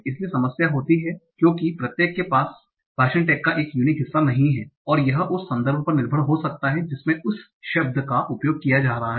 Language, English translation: Hindi, So the problem occurs because each word does not have a unique part of speech tax and it might depend on the context in which the word is being used